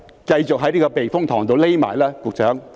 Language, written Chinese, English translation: Cantonese, 繼續在這個避風塘躲起來吧，局長。, Keep on hiding in this typhoon shelter Secretary